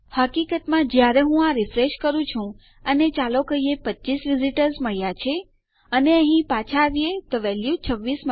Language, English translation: Gujarati, As matter of fact, when I am refreshing here and lets say, we get to 25 visitors and we come back here, well have the value 26